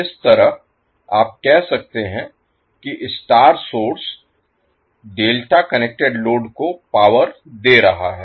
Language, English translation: Hindi, So in this way you can say that the star source is feeding power to the delta connected load